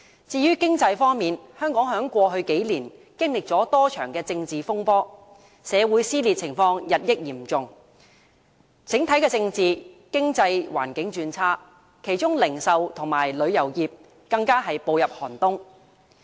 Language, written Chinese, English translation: Cantonese, 至於經濟方面，香港在過去數年經歷了多場政治風波，社會撕裂日益嚴重，整體政治、經濟環境轉差，其中零售業和旅遊業更步入寒冬。, Regarding the economy Hong Kong has weathered several political storms in the past few years . These storms have left society increasingly divided and the political climate and economic environment worsened and in particular inactivated the retail and tourism industries